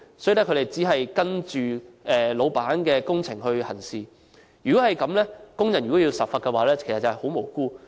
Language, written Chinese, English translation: Cantonese, 所以，他們只是依照老闆的工程行事，如果這樣，工人都要受罰，便會十分無辜。, Simply following their bosses orders workers are in fact innocent if penalized in this respect